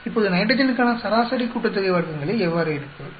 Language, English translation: Tamil, Now let us look at the nitrogen sum of squares